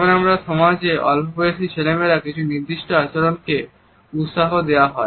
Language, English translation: Bengali, Many societies for example encourage certain behavior in young boys and in young girls